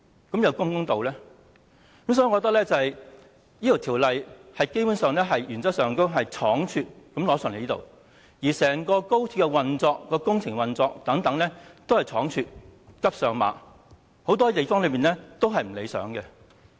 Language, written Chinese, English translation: Cantonese, 所以，我認為《條例草案》基本上是倉卒地提交立法會的，而整個高鐵的工程、運作等亦十分倉卒，"急上馬"，有很多地方不理想。, Hence I consider the submission of the Bill to the Legislative Council a hasty act . As for the construction works and operation of XRL they are also hasty and in a rush unsatisfactory in many ways